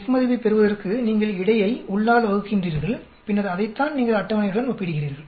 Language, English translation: Tamil, You are dividing between and within to get F value, and then that is what you are comparing with the table